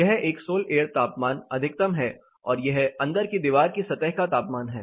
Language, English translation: Hindi, This is a solar temperature maximum and this is inside wall surface temperature